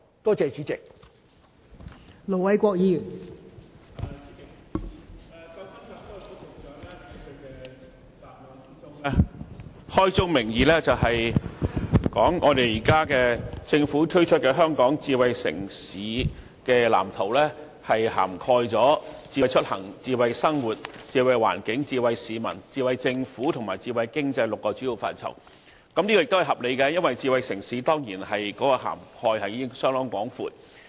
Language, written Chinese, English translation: Cantonese, 代理主席，創新及科技局局長在主體答覆中，開宗明義說政府推出的《藍圖》涵蓋"智慧出行"、"智慧生活"、"智慧環境"、"智慧市民"、"智慧政府"及"智慧經濟 "6 個主要範疇，這是合理的，因為智慧城市涵蓋面當然相當廣闊。, Deputy President the Secretary for Innovation and Technology stated at the outset in his main reply that the Blueprint proposed by the Government covers six major areas namely Smart Mobility Smart Living Smart Environment Smart People Smart Government and Smart Economy . This is reasonable because smart city certainly covers an extensive scope